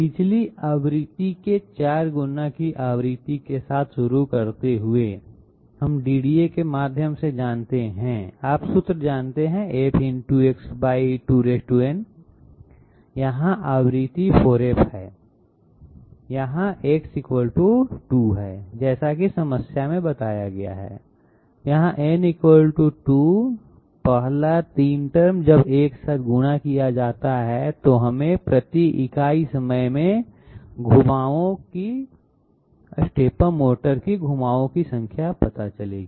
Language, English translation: Hindi, Starting with the frequency of 4 times previous frequency, we passed through the DDA with the you know with the formula F into X by 2 to the power n, here the frequency is 4F, here X = 2 as mentioned in the problem, here n = 2, so 2 to the power 2 you know the least count of the I mean divided by the number of steps per revolution of the motor so that this one this one, the first 3 terms when multiplied together will give us the stepper motor number of rotations per unit time